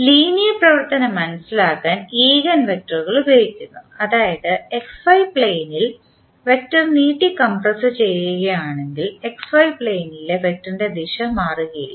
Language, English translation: Malayalam, Eigenvectors are used to make the linear transformation understandable that means the eigenvectors if you stretch and compress the vector on XY plane than the direction of the vector in XY plane is not going to change